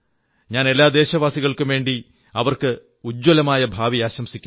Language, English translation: Malayalam, On behalf of all countrymen, I wish her a bright future